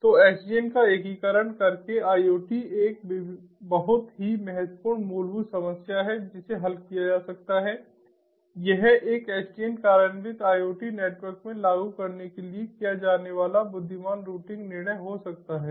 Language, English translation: Hindi, so by doing integration of sdn to iot, one very important fundamental problem that can be solved is one can have intelligent routing decision making to be done to implement it in an sdn implemented iot network